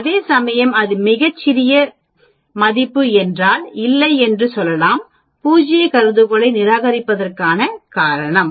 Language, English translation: Tamil, Whereas if it is very small value we can say there is no reason for rejecting the null hypothesis